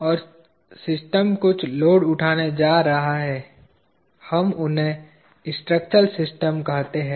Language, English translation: Hindi, And the system is going to take certain loads; we call them as structural systems